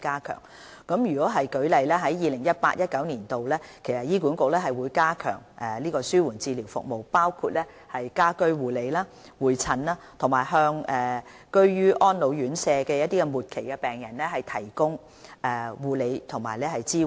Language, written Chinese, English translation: Cantonese, 舉例而言，在 2018-2019 年度，醫管局會加強紓緩治療服務，包括家居護理、會診，以及向居於安老院舍的末期病人提供護理和支援。, For example in 2018 - 2019 HA will strengthen palliative care service including home care joint consultations and the provision of care and support to terminal patients staying at homes for the elderly